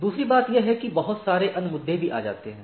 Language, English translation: Hindi, Secondly there can be lot of other issues which come into play